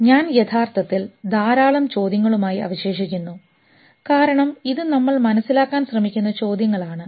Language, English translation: Malayalam, So I'm leaving you with a lot of questions actually because these are the questions which we are trying to figure out in different language